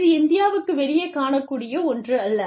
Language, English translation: Tamil, So, that is not something, you will find, outside of India